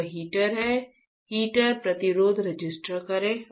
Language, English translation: Hindi, This is the heater, register heater resistance right